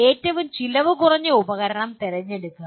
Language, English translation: Malayalam, Select the most cost effective tool